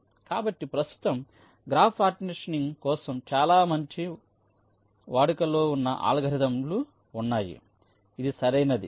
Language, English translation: Telugu, so there are many good algorithms for graph partitioning which exists, right